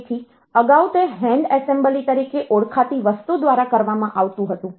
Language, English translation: Gujarati, So, previously it used to be done by something called hand assembly